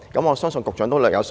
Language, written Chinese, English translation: Cantonese, 我相信局長都略有所聞。, I believe the Secretary is aware of this too